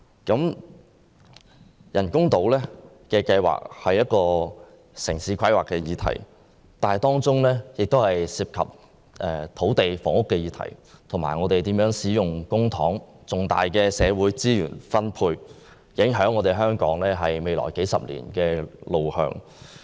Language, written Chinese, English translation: Cantonese, 人工島計劃是一項城市規劃議題，當中涉及到土地和房屋議題，以及我們應如何使用公帑和分配重大社會資源的問題，影響着香港未來數十年的路向。, The artificial islands project is a subject concerning city planning . It involves land and housing the usage of public money and the allocation of major social resources and will impact on Hong Kongs way forward in the next few decades